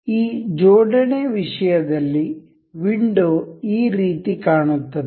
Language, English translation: Kannada, This assembly thing, the window looks like this